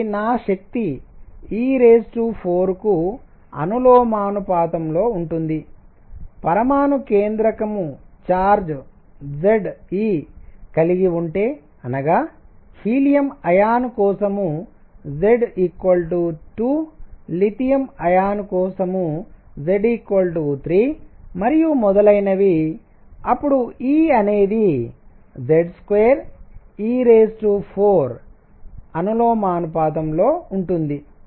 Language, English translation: Telugu, So, my energy was proportional to e raise to 4, if nucleus has charge Z e; that means, Z equals 2 for helium plus Z equals 3 for lithium plus plus and so on, then E would be proportional to Z square e raise to 4